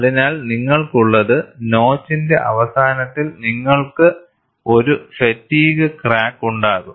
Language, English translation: Malayalam, So, what you will have is, at the end of notch you will have a fatigue crack